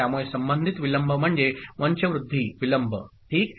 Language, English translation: Marathi, So, the delay associated is called propagation delay ok